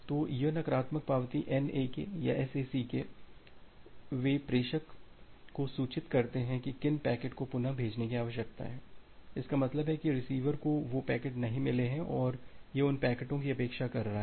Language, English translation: Hindi, So, this negative acknowledgement NAK or SACK, they informs the sender about which packets need to be retransmitted; that means, the receiver has not received those packets and it is expecting those packets